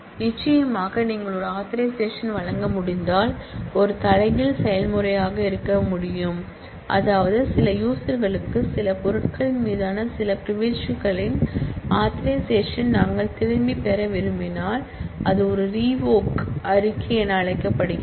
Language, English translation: Tamil, Certainly, if you can grant an authorization, then needs to be a reverse process that is if we want to withdraw authorization of certain privileges on certain items for certain users, so that is known as a revoke statement